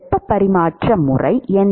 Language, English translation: Tamil, What is the mode of heat transfer